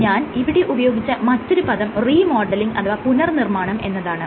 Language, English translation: Malayalam, The other term I used is remodel